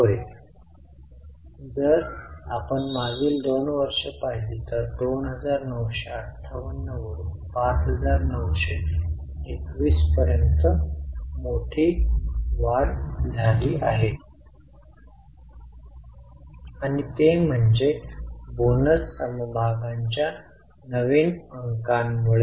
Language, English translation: Marathi, Yes, if you look at the last two years there is a major rise from 2958 to 59 to 1 and that is because of the fresh issue of bonus shares